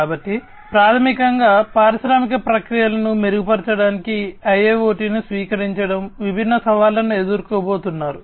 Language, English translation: Telugu, So, basically adoption of IIoT for improving industrial processes, different challenges are going to be faced